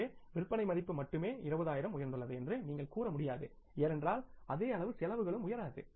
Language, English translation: Tamil, So, you can't say that only sales value has gone up by 20,000 and expenses will not go up by the same amount